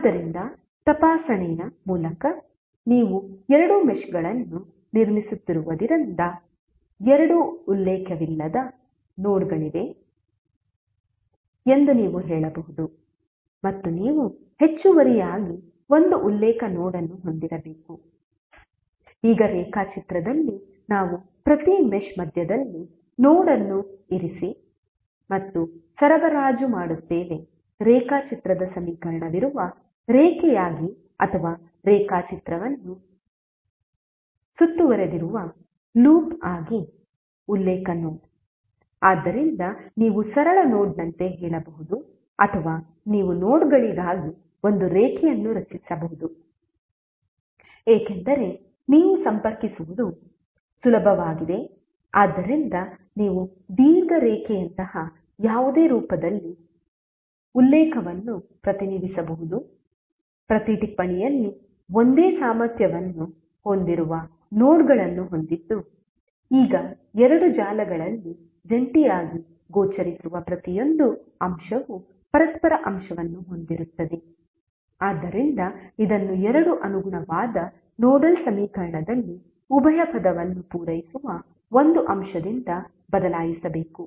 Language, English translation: Kannada, So, by inspection also you can say that there would be two non reference nodes because there are two meshes being constructed plus you need to additionally have one reference node, now on the diagram we place node at the center of each mesh and supply the reference node as a line near the diagram or the loop enclosing the diagram, so you can say like simple node or you can create a line for nodes, because it is easier for you to connect so you can represent reference in any form like long line having nodes at each note having same potential, now each element that appears jointly in two meshes each a mutual element, so it must be replaced by an element that supplies the dual term in the two corresponding nodal equation